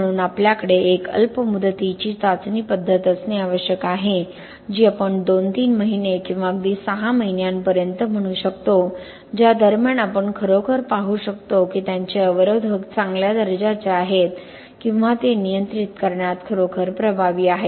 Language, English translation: Marathi, So we have to have a short term test method which could be let us say 2 3 months or even up to 6 months in during which time we can actually see whether their inhibitors are of good quality or are they really effective in controlling corrosion or in extending the onset of initiation, onset of corrosion